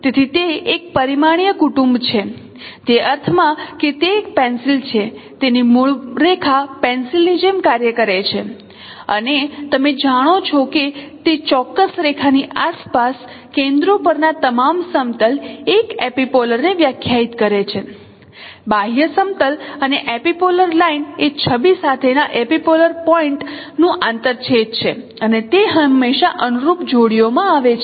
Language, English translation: Gujarati, So it's a one dimensional family in the sense that it's a a pencil this baseline is acting like a pencil and no all the planes over no centering around that particular line is defining an epipolar plane and epipolar line is the intersection of epipolar plane with image and it always come in corresponding pairs